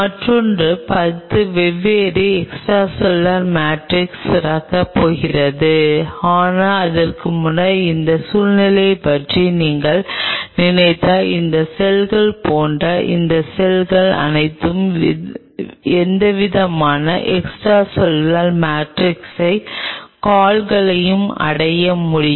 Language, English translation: Tamil, another ten is going to secrete different extracellular matrix, but earlier to that, if you think of this situation where they could attain any kind of extracellular matrix, feet on the similar, all these cells similar to these cells